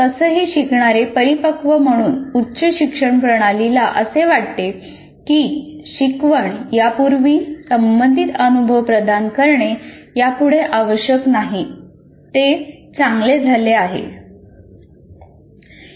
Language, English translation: Marathi, And somehow as learners mature the higher education system seems to feel that providing relevant experience prior to instruction is no longer necessary